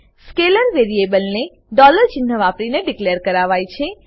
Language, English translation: Gujarati, Scalar variables are declared using $ symbol